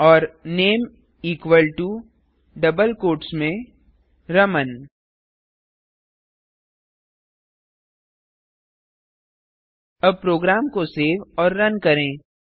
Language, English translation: Hindi, And name equal to within double quotes Raman Now Save and Run the program